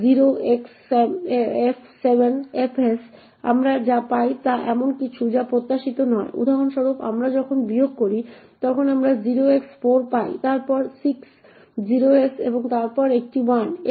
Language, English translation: Bengali, Another example is when we take L and subtract 0xf 7 fs what we get is something which is not expected for example when we do subtract, we get 0x4 followed by 6 0s and then a 1